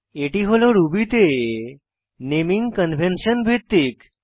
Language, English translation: Bengali, This is based on the method naming convention of Ruby